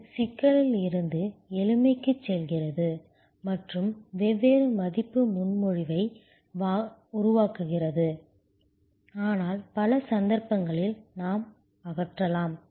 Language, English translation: Tamil, This is going from complexity to simplicity and creating different value proposition, but in many cases, we can even eliminate